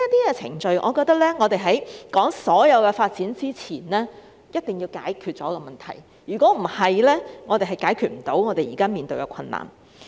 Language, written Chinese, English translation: Cantonese, 因此，在談論所有發展前，一定要解決這些程序上的問題，否則便無法解決現時所面對的困難。, Therefore before talking about any developments the Government must tackle all these procedural problems; otherwise the difficulties in front cannot be resolved